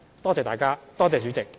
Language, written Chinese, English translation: Cantonese, 多謝大家，多謝代理主席。, Thank you . Thank you Deputy President